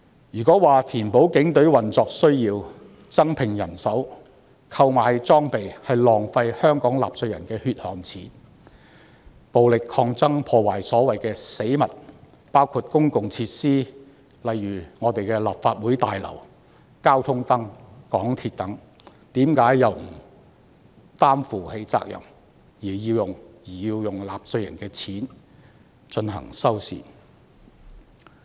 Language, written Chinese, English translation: Cantonese, 如果說警隊為填補運作需要而增聘人手及購買裝備，是浪費香港納稅人的血汗錢，那麼為何在暴力抗爭中破壞所謂的死物，包括公共設施，例如我們的立法會大樓、交通燈、港鐵等，卻不需要承擔責任，而要用納稅人的金錢進行修繕工程？, If it is said that the Polices effort to recruit additional manpower and acquire equipment to meet the operational needs is a waste of Hong Kong taxpayers hard - earned money then how come no one is held responsible for the destruction of the so - called objects during the violent struggles including public facilities our Legislative Council Complex traffic lights and MTR stations as taxpayers money is required to foot the bill of repair works?